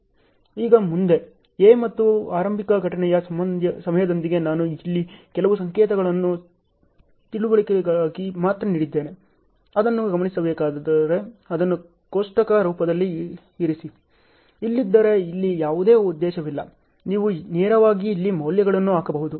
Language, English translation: Kannada, Now, so the further, let me start with A and early event time I have given some notations here only for understanding, only for me to note put it in a tabular form; otherwise there is no purpose here, you can directly put the values here